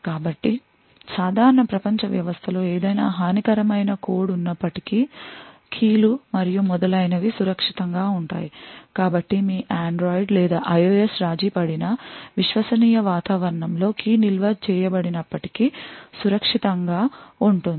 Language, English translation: Telugu, So, the keys and so on are secure in spite of any malicious code that is present in the normal world system so even if your Android or IOS is compromised still the key is stored in the trusted environment is still safe and secure